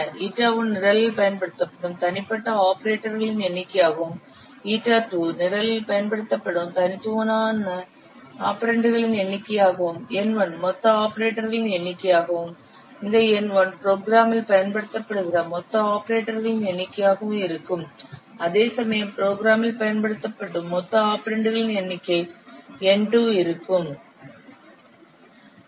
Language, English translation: Tamil, For a given program, let ita 1 be the number of unique operators which are used in the program, eta 2 with the number of unique operands which are used in the program, N1 be the total number of operators used in the program, and n2 be the total number of operants used in the program